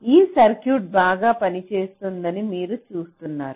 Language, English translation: Telugu, so you see, this circuit works perfectly well